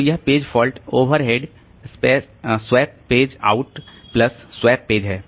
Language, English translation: Hindi, So, this is page fault over it, swap page out plus swap page in